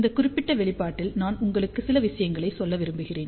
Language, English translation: Tamil, In this particular expression, I just want to tell you a few things